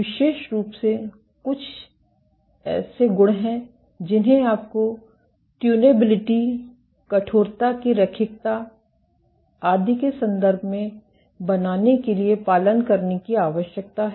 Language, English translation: Hindi, Particularly what are some of the properties that you need to follow in order to make them in terms of tunability, linearity of stiffness, etcetera